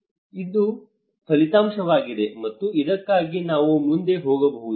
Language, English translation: Kannada, This is the outcome, and we can go ahead for that